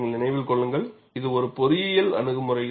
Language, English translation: Tamil, Mind you, it is an engineering approach